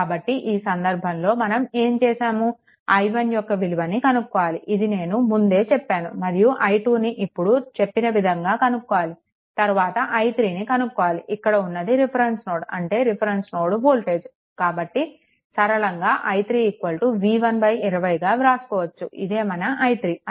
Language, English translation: Telugu, So, in this case, what you can do is now next you have to find out what i i 1 also I told you that how to find out out, i 2 also like this, then your i 3, this is this is actually reference load reference load voltage is directly, you can write i 3 is equal to v 1 by 20, right this is your i 3